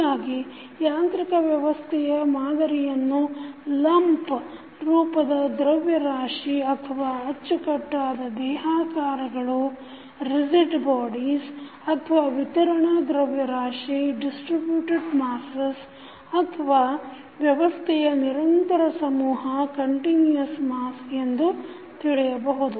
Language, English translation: Kannada, So, the mechanical systems may be modeled as systems of lumped masses or you can say as rigid bodies or the distributed masses or you can see the continuous mass system